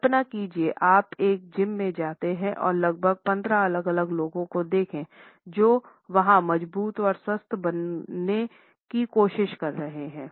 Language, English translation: Hindi, Imagine you walk into a gym and see 15 different people all going about their business and trying to get stronger and healthier